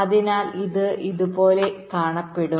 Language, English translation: Malayalam, right, so it will look something like this